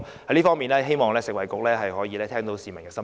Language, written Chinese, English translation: Cantonese, 在這方面，我希望食物及衞生局聆聽市民的心聲。, In this regard I hope that the Food and Health Bureau will listen to the publics concerns